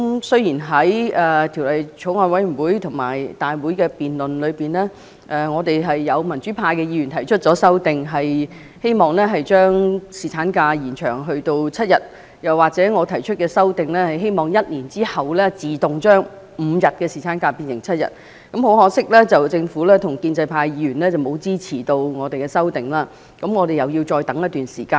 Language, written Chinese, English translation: Cantonese, 雖然在法案委員會和立法會大會的辯論上，有民主派的議員提出修正案，希望將侍產假延長至7天，又或者我提出的修正案，希望1年後自動將5天侍產假增加至7天，但很可惜，政府和建制派議員沒有支持我們的修正案，我們要再等待一段時間。, Although during the debates at the Bills Committee and the Legislative Council members from the democratic camp have proposed amendments to extend the paternity leave to seven days or I have proposed an amendment to automatically increase the paternity leave from five days to seven days after one year unfortunately the Government and the pro - establishment Members did not support our amendments . We have to wait for some more time